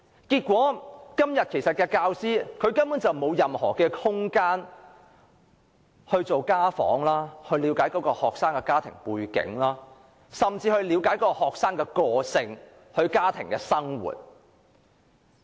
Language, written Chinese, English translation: Cantonese, 結果，教師根本沒有空閒進行家訪，藉以了解學生的家庭背景，甚至是學生的個性和家庭生活。, As a result teachers can simply find no time to make home visits in order to know more about the family background of their students and even their personality and family life